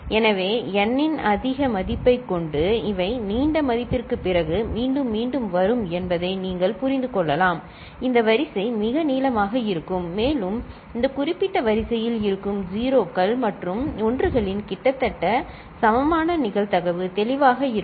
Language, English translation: Tamil, So, with a higher value of n you can understand that these will get repeated after a long value, this sequence will be very long, and almost equal probability of 0s and 1s that is present in this particular sequence, clear